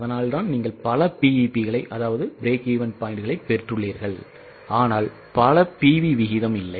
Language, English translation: Tamil, That's why you have got multiple BPs, but there is no multiple PV ratio